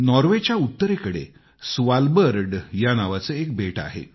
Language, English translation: Marathi, There is an island named Svalbard in the north of Norway